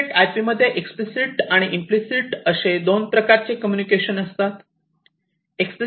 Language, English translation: Marathi, So, in EtherNet/IP there are two types of communications; explicit and implicit communication